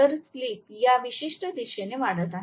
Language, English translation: Marathi, So, the slip is increasing in this particular direction yeah yeah